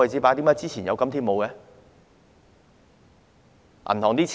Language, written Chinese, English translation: Cantonese, 為何之前有，今天沒有呢？, How come there was space in the past but not now?